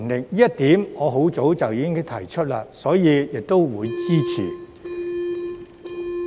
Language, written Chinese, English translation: Cantonese, 由於這一點我很早便提出過，所以我會支持。, Since this point has already been raised by me long ago I will support it